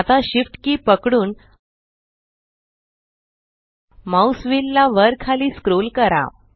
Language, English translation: Marathi, Now, hold SHIFT and scroll the mouse wheel up and down